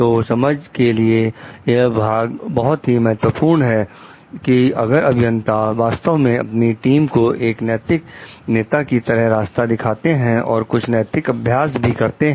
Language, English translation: Hindi, So, the this part is very important in the sense, like if the engineers are really to show the way in terms of morale leaders in terms of doing some as some ethical practices